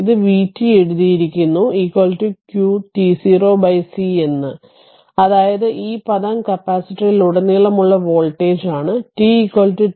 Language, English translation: Malayalam, So that means, v t 0 is equal to qt 0 by c is the voltage across the capacitor at time t 0